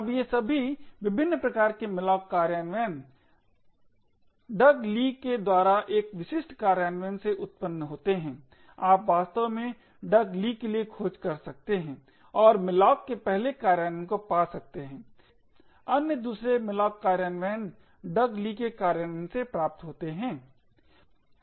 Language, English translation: Hindi, Now all of these different types of malloc implementations originate from one specific implementation by Doug Lea you could actually search for Doug Lea and find the 1st implementation of malloc most other malloc implementations are derived from Doug Lea’s implementation